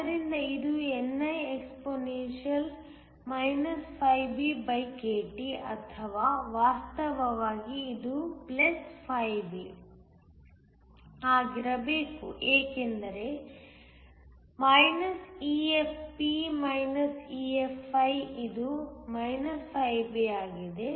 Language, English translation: Kannada, So, this is niexp BkT or actually this should be +B because it is minus EFp EFi, which is B